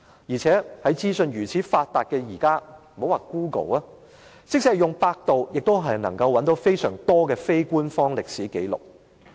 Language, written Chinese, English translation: Cantonese, 現時資訊發達，用 Google 或百度便可以找到相當多的非官方歷史紀錄。, In the present information age we can easily find a considerable number of unofficial historical records using Google or Baidu